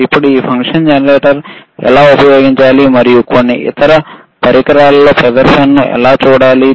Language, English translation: Telugu, Now how to use this function generator, and how to see the display on some other equipment